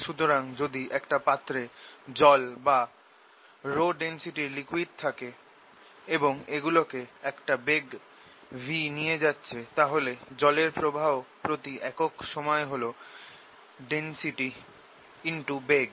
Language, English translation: Bengali, so it is like you know, if there is water in some container or some liquid of density rho, and if it is following with ah speed, v, then the flow of the water you moving per unit time is the density times, the velocity